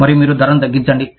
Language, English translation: Telugu, And, you bring the price down